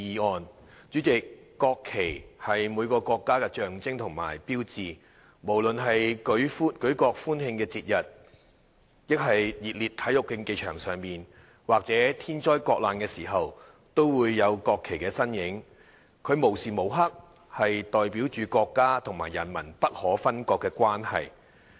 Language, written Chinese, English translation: Cantonese, 代理主席，國旗是每個國家的象徵和標誌，無論是舉國歡慶的節日，還是在熱烈的體育競技場上，或是在天災國難的時候，都會有國旗的身影，它無時無刻代表着國家和人民不可分割的關係。, Deputy President the national flag is the symbol and mark of a country . Be it on occasions of national celebration in highly - charged sports arenas or in times of national calamities the presence of the national flag can be seen . It perpetually symbolizes the inalienable relationship between the country and its people